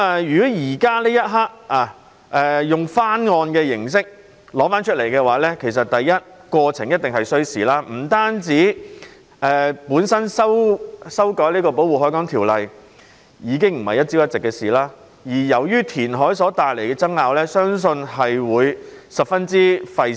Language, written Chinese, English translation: Cantonese, 如果此刻以翻案的形式提出，過程一定需時，本身修訂《條例》已經不是一朝一夕所能做到的事，而填海所帶來的爭拗相信亦會十分費時。, If the proposal is to be revisited now the process will definitely take time . Amendment to the Ordinance is by no means something which can be done overnight and controversies arising from reclamation I believe will also be very time - consuming